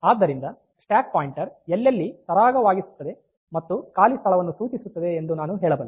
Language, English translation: Kannada, So, I can say that wherever the stack pointer points to ease and empty location